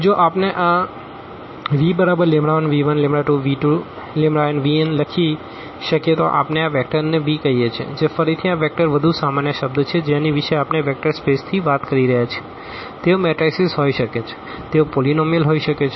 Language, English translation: Gujarati, If we can write down this v as lambda 1 v 1 plus lambda 2 v 2 plus lambda n v n then we call this vector v which is again this vector is a more general term we are talking about from the vector space they can be matrices, they can be polynomial etcetera